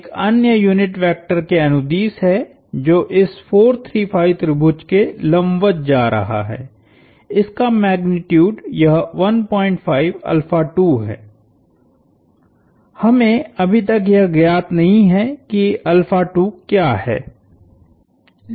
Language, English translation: Hindi, at is along another unit vector that is going perpendicular to this 4, 3, 5 triangle, its magnitude firstly, is this 1